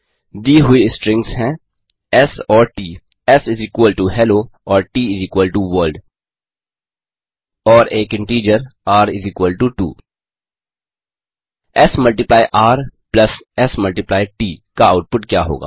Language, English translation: Hindi, Given strings s and t,s = Hello and t = World and an integer r, r = 2 What is the output of s multiply r plus s multiply t